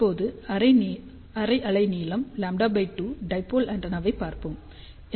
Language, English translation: Tamil, So, now let us just look at half wavelength lambda by 2 dipole antenna